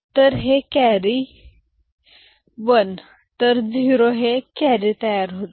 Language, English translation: Marathi, So, this carry and this 1 so 0 and a carry is generated here